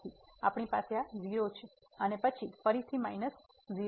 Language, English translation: Gujarati, So, we have this 0 and then again minus 0